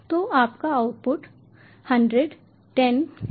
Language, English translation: Hindi, so your output is hundred comma ten